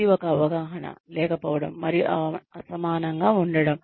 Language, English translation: Telugu, This is a perception, may be lacking and uneven